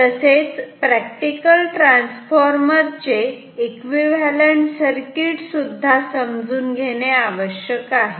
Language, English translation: Marathi, Therefore, we need to understand the equivalent circuit of a practical transformer